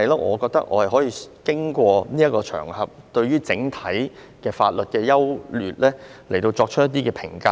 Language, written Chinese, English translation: Cantonese, 我覺得我可以透過這個場合，就整體法律的優劣作出評價。, I think I can take this opportunity to comment on the general merits of the law